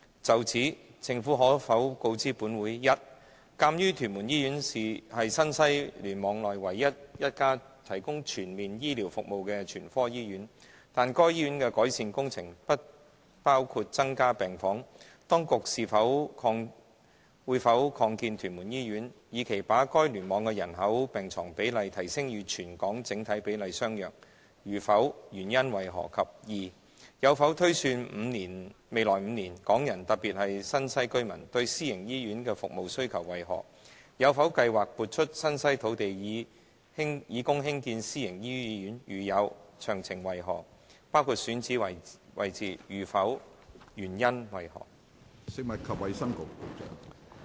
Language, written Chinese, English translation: Cantonese, 就此，政府可否告知本會：一鑒於屯門醫院是新西聯網內唯一一家提供全面醫療服務的全科醫院，但該醫院的改善工程不包括增加病房，當局會否擴建屯門醫院，以期把該聯網的人口病床比例提升至與全港整體比例相若；如否，原因為何；及二有否推算未來5年，港人對私營醫院的服務需求為何；有否計劃撥出新西土地以供興建私營醫院；如有，詳情為何，包括選址位置；如否，原因為何？, In this connection will the Government inform this Council 1 given that TMH is the only general hospital in the NTW Cluster which provides comprehensive healthcare services but the improvement works for that hospital do not include any addition of wards whether the authorities will expand TMH with a view to increasing the population - to - bed ratio of the cluster to a level comparable to that of the territory - wide overall ratio; if they will not of the reasons for that; and 2 whether it has projected the demand of Hong Kong people particularly the NTW residents for services of private hospitals in the coming five years; whether it has plans to set aside lands in NTW for constructing private hospitals; if it does of the details including the locations of the sites identified; if not the reasons for that?